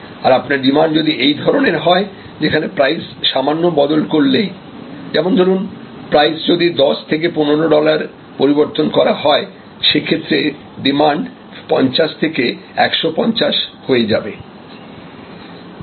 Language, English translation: Bengali, If the graph is of this shape; that means, a little change in price can make that means, is 10 dollars to 15 dollars change in price, can change the demand from 50 to 150